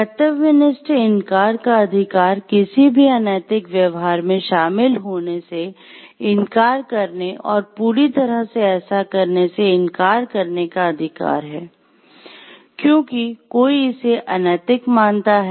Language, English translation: Hindi, So, the right of conscientious refusal is the right to refuse to engage in any unethical behavior and to refuse to do so solely, because one views it to be unethical